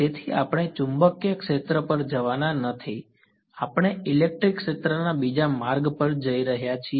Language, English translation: Gujarati, So, we are not going to go to the magnetic field we are going to go the second route to the electric field ok